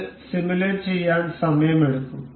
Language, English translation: Malayalam, It takes time to simulate